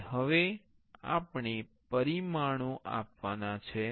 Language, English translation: Gujarati, And now we have to give dimensions